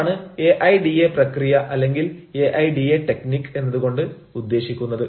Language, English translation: Malayalam, that is what we mean by aida process or aida technique